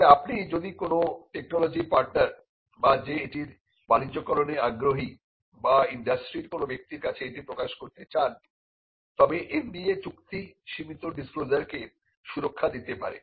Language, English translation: Bengali, But if you want to disclose it to a technology partner or a partner who is interested in commercializing it or a person from the industry then an NDA can protect a limited disclosure